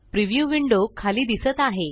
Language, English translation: Marathi, A preview window has appeared below